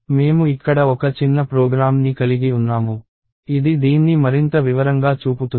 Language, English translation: Telugu, So, I have a small program here which shows this in more detail